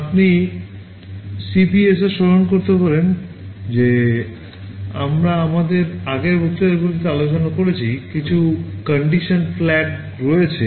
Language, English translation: Bengali, You recall in the CPSR that we discussed in our previous lectures there are some condition flags